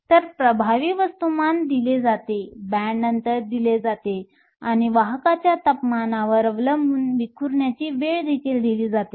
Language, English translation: Marathi, So, the effective masses are given, the band gap is given, and the temperature dependence of the carriers scattering time is also given